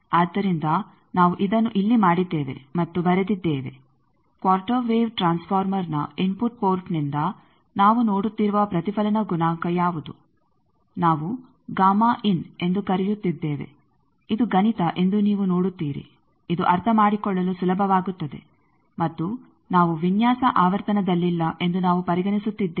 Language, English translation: Kannada, So, that we are done and written it here, what is the reflection coefficient that we are looking at from the input port of the quarter wave transformer that is the calling the gamma in, you see this is mathematics this will be easy to understand and we are considering that we are not at a designing frequency